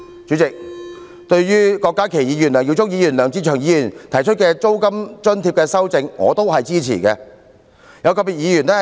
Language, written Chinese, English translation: Cantonese, 主席，對於郭家麒議員、梁耀忠議員及梁志祥議員提出的租金津貼建議，我也予以支持。, President I also support the proposals on rent allowance made by Dr KWOK Ka - ki Mr LEUNG Yiu - chung and Mr LEUNG Che - cheung